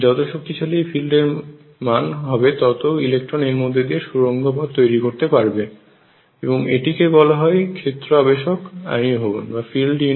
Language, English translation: Bengali, So, stronger the feel more electrons can tunnel through and this is known as field induced ionization